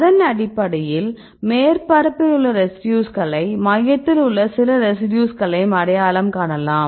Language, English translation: Tamil, So, based on that we identify the residues which are the surface and some residues which are in the core right